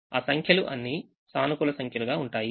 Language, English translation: Telugu, those numbers will all be positive number